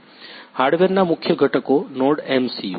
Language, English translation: Gujarati, The main components of the hardware are NodeMCU